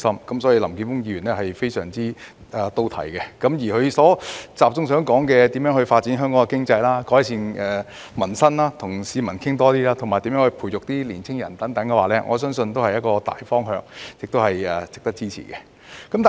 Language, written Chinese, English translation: Cantonese, 因此，林健鋒議員的議案非常到題，集中討論發展香港經濟、改善民生、與市民多溝通，以及培育年青人等，我相信這些都是大方向，值得支持。, Therefore Mr Jeffrey LAMs motion is right to the point as it focuses on developing Hong Kongs economy improving peoples livelihood enhancing the communication with people and nurturing young people . I believe all these are general directions and worthy of support